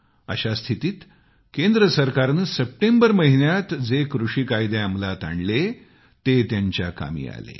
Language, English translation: Marathi, In this situation, the new farm laws that were passed in September came to his aid